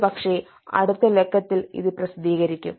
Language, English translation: Malayalam, maybe in the uh next issue it will